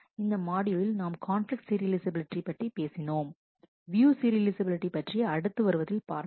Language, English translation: Tamil, In this module we have talked of conflict serializability, view serializability we will take up later on